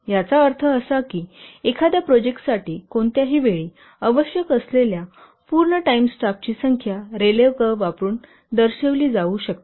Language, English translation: Marathi, That means the number the number of full time personnel required at any time for a project can be represented by using a rally curve